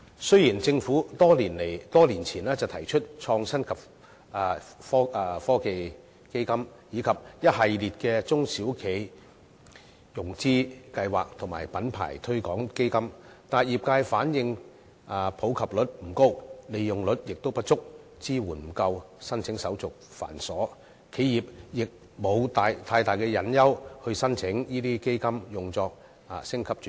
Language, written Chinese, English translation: Cantonese, 雖然政府多年前設立創新及科技基金，以及一系列的中小企融資計劃及品牌推廣基金，但業界反映普及率不高，使用率不足，支援亦不夠，申請手續又繁瑣，企業並無太大誘因申請這些基金用作升級轉型。, Despite the establishment of the Innovation and Technology Fund as well as a series of financing schemes for the small and medium enterprises and funds for promoting the local brands by the Government years ago the industries have conveyed that the participation rate is not high and the utilization rate unsatisfactory and coupled with inadequate support and cumbersome application formalities there is little incentive for enterprises to lodge applications with these funds for business upgrading and transformation